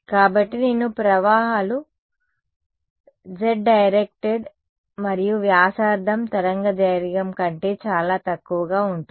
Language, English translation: Telugu, So, both currents are z directed and radius is much smaller than wavelength ok